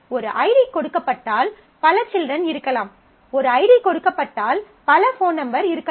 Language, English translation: Tamil, Because given an ID there could be multiple children, there given an id there could be multiple phone numbers